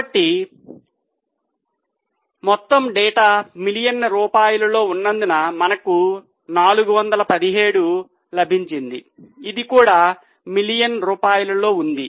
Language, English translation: Telugu, Since all the data is in rupees million, this is also in rupees million